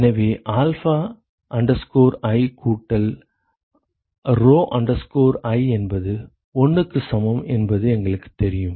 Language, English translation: Tamil, So we know that alpha i plus rho i equal to 1 alright